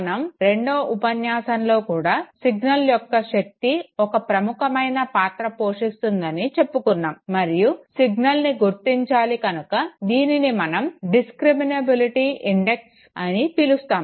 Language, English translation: Telugu, Remember in the second lecture also we were saying know that the strength of the signal has to play a role, and because the signal has to be detected therefore it is called that fine this is the discriminability index okay